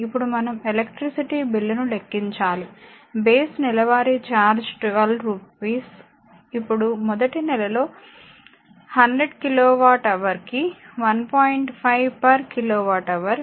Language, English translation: Telugu, Now, we have to calculate the electricity bill so, base monthly charge is rupees 12 now 100 kilowatt hour at rupees 1